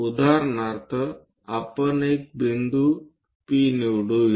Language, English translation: Marathi, For example, let us pick a point P